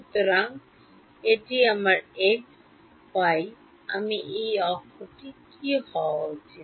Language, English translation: Bengali, So, this is my x y what should I what should this axis be